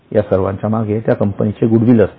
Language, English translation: Marathi, So, all of these are backed by some goodwill of that company